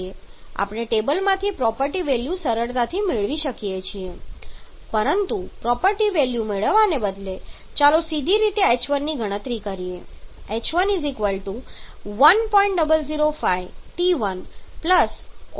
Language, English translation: Gujarati, So how can we achieve this we can easily get the property files from the table, but instead of getting the property values let us directly calculate h1 as CpT okay stop writing